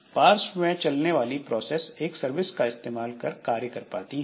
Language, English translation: Hindi, So, background processes, a process uses a service to perform the tasks